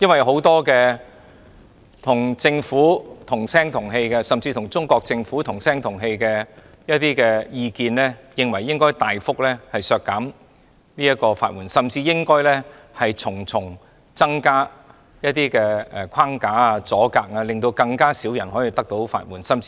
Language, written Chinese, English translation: Cantonese, 很多與政府、甚至與中國政府同聲同氣的意見認為，應該大幅削減法援，甚至應加設重重限制，令更少人能夠申請法援。, Many people who support the Government or even the Chinese Government opine that the amount of legal aid should be substantially reduced and more restrictions should be introduced to reduce the number of people eligible for legal aid